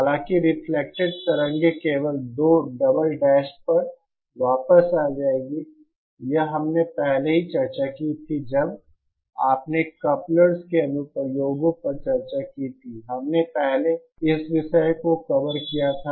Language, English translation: Hindi, However, the reflected waves will come back only at 2 double dash, this we had already discussed you know while discussing the applications of couplers, we had covered this topic earlier